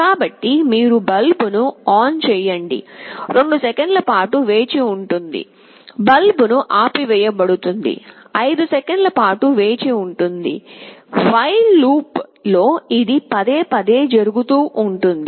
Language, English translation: Telugu, So, you turn ON the bulb, wait for 2 seconds, turn OFF the bulb, wait for 5 seconds in a repeated while loop